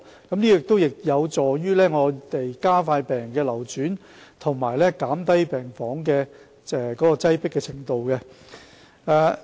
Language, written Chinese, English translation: Cantonese, 這有助於加快病人的流轉，以及減低病房的擠迫程度。, This will help increase patient flow and relieve the crowded condition in wards